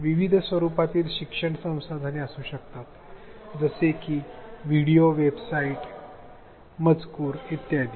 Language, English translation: Marathi, It could be learning resources in different formats such as videos, websites, text